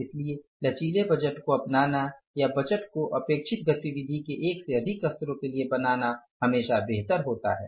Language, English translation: Hindi, So, it is always better to go for the flexible budgets or create the budgets for more than one level of expected activity